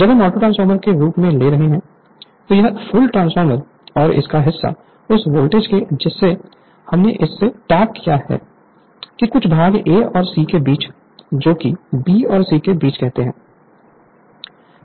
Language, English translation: Hindi, When we are taking as autotransformer, this full transformer and part of this we are that voltage we are tapped from this your what you callfrom some part say between your between A and C that is B and C right